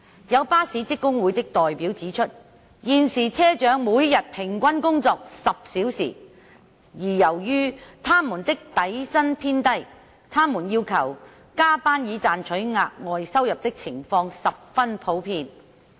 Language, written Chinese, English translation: Cantonese, 有巴士職工會的代表指出，現時車長每日平均工作10小時，而由於他們的底薪偏低，他們要求加班以賺取額外收入的情況十分普遍。, Some representatives of bus staff unions have pointed out that bus captains currently work for 10 hours a day on average and given their low basic salaries it is very common for them to request to work overtime in order to earn additional income